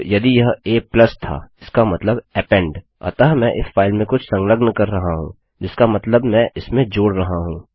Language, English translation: Hindi, Now if it was a+ that means append so Im appending something onto the file, which means that Im adding to it